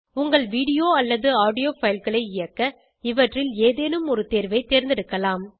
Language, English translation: Tamil, You can use any of these options to play your video or audio files